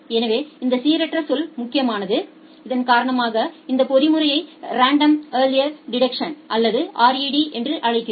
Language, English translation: Tamil, So, this random term is important because of which we call this mechanism as a Random Early Detection or RED